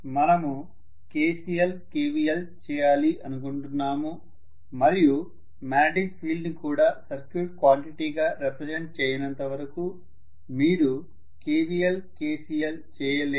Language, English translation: Telugu, We wanted to do KVL, KCL and KVL, KCL you cannot do you unless you represent the magnetic field also as a circuit quantity